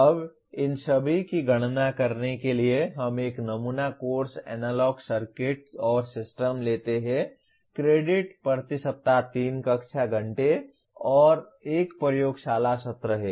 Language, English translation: Hindi, Now to compute all these we take a sample course, Analog Circuits and Systems, credits are 3 classroom hours and 1 laboratory session per week